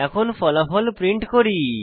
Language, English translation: Bengali, Here we print the result